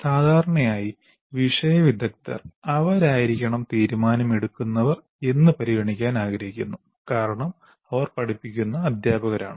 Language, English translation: Malayalam, The generally subject matter experts, they would like to be considered they are the decision makers because they are the teachers who are teaching